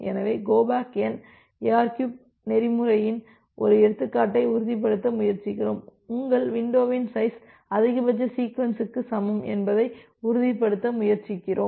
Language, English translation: Tamil, So, that as an example in case of our go back N ARQ protocol what we try to ensure, we try to ensure that your windows size is equal to max sequence